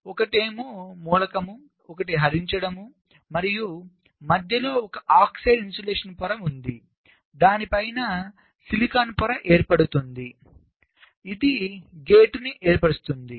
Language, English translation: Telugu, so one is the source, one is the drain, and in between there is an oxide insulation layer on top of which a polysilicon layer is created which forms the gate